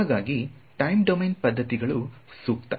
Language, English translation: Kannada, So, time domain methods would be better for that